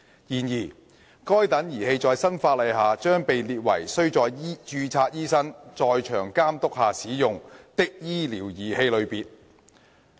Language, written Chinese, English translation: Cantonese, 然而，該等儀器在新法例下將被列為須在註冊醫生在場監督下使用的醫療儀器類別。, However such devices will be categorized under the new legislation as medical devices the use of which requires supervision on site by a registered medical practitioner